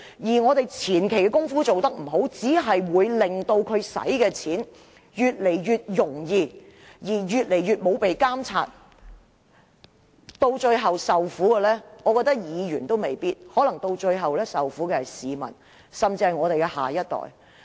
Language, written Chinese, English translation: Cantonese, 如果議員的前期工夫做得不好，只會令公帑的運用越趨不受監察，最後受苦的未必是議員，可能是市民，甚至是我們的下一代。, If Members are not well - prepared beforehand the use of public money will be increasingly out of control . In the end the ones who suffer may not be Members but the general public or even our next generation